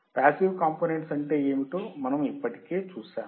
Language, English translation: Telugu, We already have seen what are all the passive components